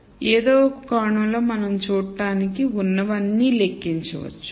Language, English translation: Telugu, So, in some sense we can count all that is there to see